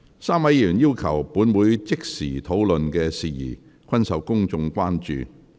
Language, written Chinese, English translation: Cantonese, 三位議員要求本會即時討論的事宜均受公眾關注。, The issues that these three Members requested this Council to debate immediately are of great public concern